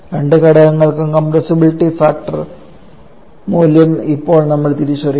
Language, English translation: Malayalam, And now we have to identify the value of the compressibility factor for both the components